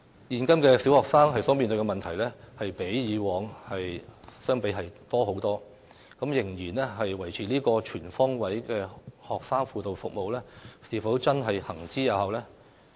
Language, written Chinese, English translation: Cantonese, 現今小學生所面對的問題較往昔為多，仍然維持"全方位學生輔導服務"是否真的有效？, Given that primary students are faced with more problems today than ever before is the Comprehensive Student Guidance Service still really effective?